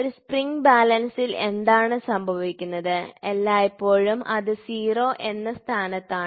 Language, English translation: Malayalam, So, what happens in a spring balance is the spring balance always it is in 0th position